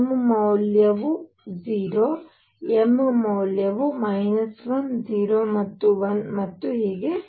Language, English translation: Kannada, m value 0 m value minus 1 0 and 1 and so on